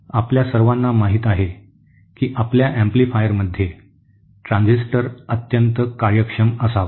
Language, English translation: Marathi, We all know that we want transistor in our amplifier to be highly efficient